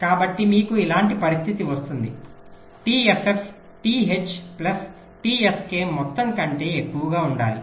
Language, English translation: Telugu, so you get ah condition like this: t f f should be greater than t h plus t s k